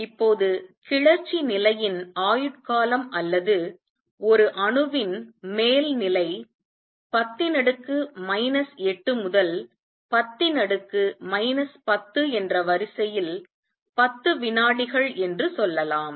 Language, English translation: Tamil, Now life time of an exited state or the upper state of an atom is of the order of 10 raise to minus 8 to 10 raise to minus let say 10 seconds